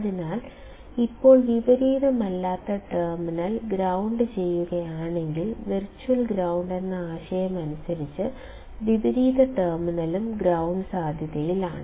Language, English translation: Malayalam, Now, if the non inverting terminal is grounded, by the concept of virtual short, inverting terminal also is at ground potential